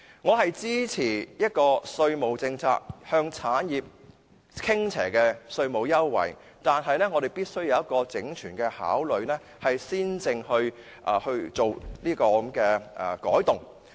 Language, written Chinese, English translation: Cantonese, 我支持向產業發展傾斜的稅務優惠，但我們必須有全盤考慮，才能作出改動。, I support the provision of tax incentives to favour industrial development but we must have overall consideration before making changes